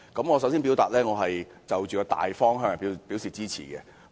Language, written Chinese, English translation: Cantonese, 我首先表明，對於《修訂令》的大方向，我是支持的。, To begin with I indicate my support regarding the general direction of the Amendment Order